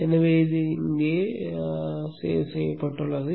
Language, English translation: Tamil, So this is included here